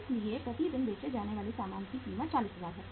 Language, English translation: Hindi, So it is cost of goods sold per day is 40000